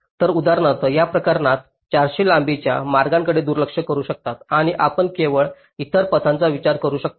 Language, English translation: Marathi, so in this case, for example, you can ignore the four hundred length path and you can only consider the other paths